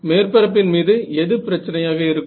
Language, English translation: Tamil, On the surface, what is the problem with the on the surface